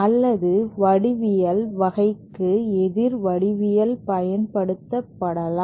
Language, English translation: Tamil, Or the opposite geometry, for the type of geometry also can be implemented